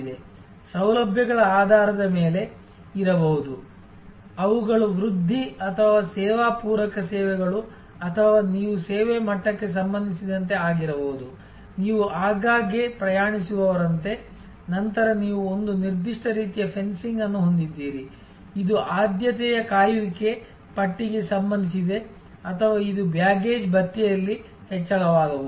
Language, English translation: Kannada, There can be based on amenities, which are the augmentation or service supplementary services or it could be even with respect to service level, like if you are a frequent traveler, then you have a certain kind of fencing, which is relating to priority wait listing or it could be increase in baggage allowances